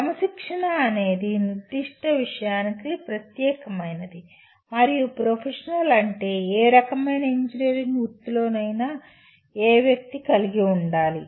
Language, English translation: Telugu, Disciplinary would mean specific to the particular subject and professional would mean the kind of competencies any person should have in any kind of engineering profession